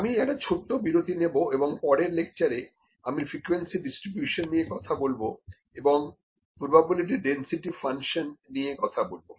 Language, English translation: Bengali, Next, I will just try to take a small break here and in the next lecture, I will discuss about the frequency distributions and will talk about the probability density function, what is that and will try to plot a probability density function